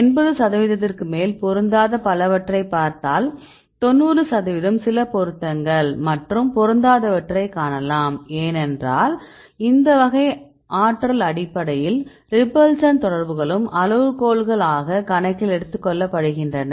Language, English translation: Tamil, And if you see there will many with mismatches about more than 80 percent, 90 percent you can see the matches and some which mismatches mainly because of the some of the repulsion interactions are also taken into account in this type of energy based criteria, that is the reason right